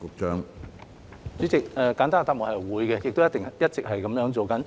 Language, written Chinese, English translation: Cantonese, 主席，簡單的答案是會的，亦一直是這樣做。, President the simple answer is yes; and we have been doing so